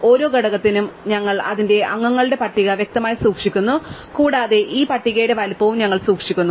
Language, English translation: Malayalam, We keep for each component k the list of its members explicitly and we also keep the size of this list